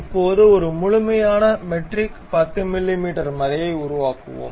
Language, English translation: Tamil, Now, we will construct a systematic metric 10 mm thread